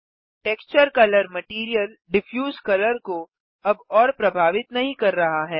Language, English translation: Hindi, The texture color no longer influences the Material Diffuse color